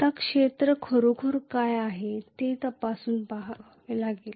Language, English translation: Marathi, Now we will have to check what is really this area